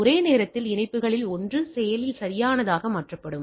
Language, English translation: Tamil, So, at a time one of the connections will be made active right